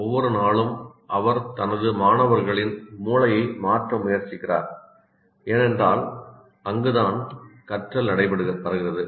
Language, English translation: Tamil, Every day he is trying to change the brain of his students because that is where the learning takes place